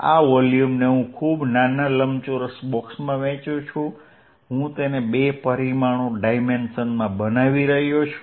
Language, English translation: Gujarati, In this volume I divide this volume into very small rectangular boxes very, very small I am making into two dimensions